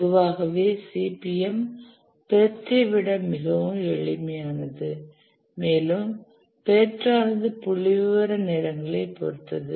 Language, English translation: Tamil, Naturally, CPM is much more simpler than the part with statistical times